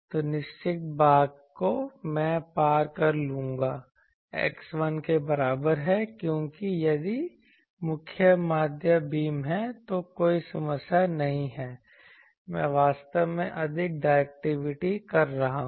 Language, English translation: Hindi, So, certain portion I will cross x is equal to 1 because, if the main mean beam is there then there is no problem I am actually putting more directivity